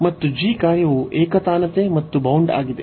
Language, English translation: Kannada, And the function g is monotone and bounded